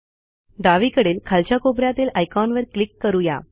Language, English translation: Marathi, Let us click the icon at the bottom left hand corner